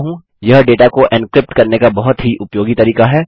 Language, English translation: Hindi, It is a very useful way of encrypting data